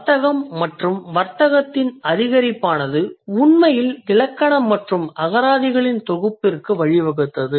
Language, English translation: Tamil, With the increase of commerce and trade, it actually led to the compilation of grammars and dictionaries